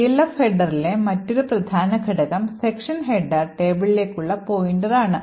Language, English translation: Malayalam, So, another important component in the Elf header is this pointer to the section header table